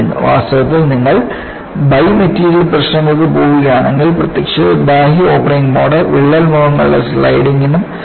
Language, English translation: Malayalam, In fact if you go for bi material problems, apparently external opening mode can also cause a sliding of the crack faces